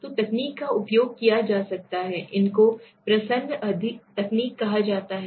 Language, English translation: Hindi, So is that technique is being used these are called disguised techniques right